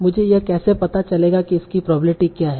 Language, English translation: Hindi, So how will if you find out this probability